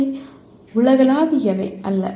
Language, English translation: Tamil, They are not necessarily universal